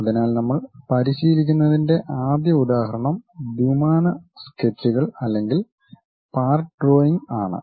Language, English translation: Malayalam, So, first example what we are practicing is 2D sketches or part drawing we would like to go with